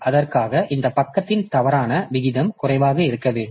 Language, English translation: Tamil, So, for that this page fault rate should be low